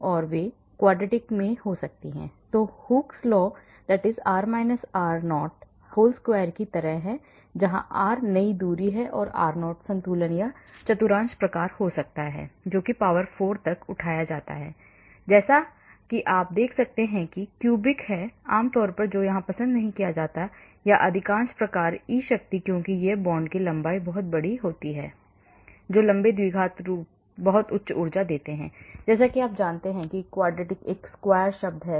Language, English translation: Hindi, So, they could be in quadratic form that is like Hookes law r r0 whole square, where r is the new distance, r0 is the equilibrium or there could be quartic type that is raised to the power 4, as you can see cubic is not generally preferred, or most type e power because when the bond lengths are very large, long quadratic form gives a very high energy